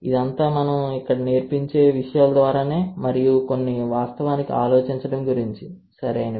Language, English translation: Telugu, It is all through the things that we teach here and some, of course, is about thinking, right